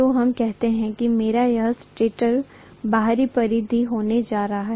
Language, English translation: Hindi, So let us say this is going to be my stator’s outer periphery